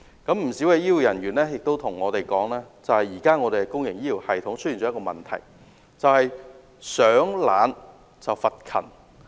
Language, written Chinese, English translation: Cantonese, 不少醫護人員向我們表示，目前香港的公營醫療系統出現一個問題，就是"賞懶罰勤"。, Many of them have told us that there is a prevailing problem in the public health care system in Hong Kong ie rewarding the lazy and punishing the hardworking